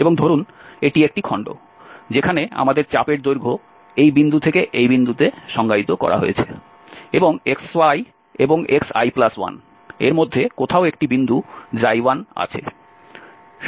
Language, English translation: Bengali, And suppose this is one piece where our arc length is defined from this point to this point, and there is a point Xi i somewhere between xi and xi plus 1